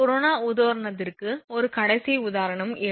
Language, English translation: Tamil, This is the last example for corona example 7